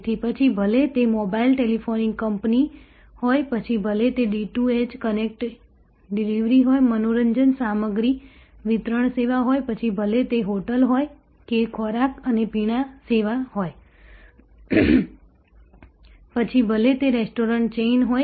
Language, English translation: Gujarati, So, whether it is a mobile telephonic company, whether it is a D2H content delivery, entertainment content delivery service, whether it is a hotel or food and beverage service, whether it is a restaurant chain